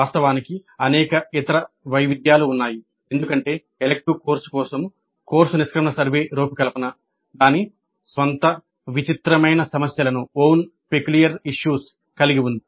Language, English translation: Telugu, In fact there are many other variations because of each the design of the course exit survey for an elective course has its own peculiar issues